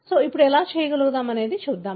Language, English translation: Telugu, So, let us see how does it do